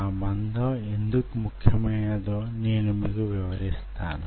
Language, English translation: Telugu, i will come why that thickness is important